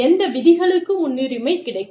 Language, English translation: Tamil, Which rules will take precedence